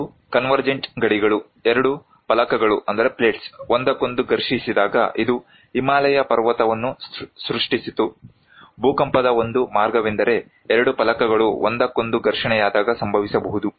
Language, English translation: Kannada, One is that convergent boundaries; when two plates collide together this created the Himalayan mountain so, one way of the event of earthquake that can happen when two plates are colliding each other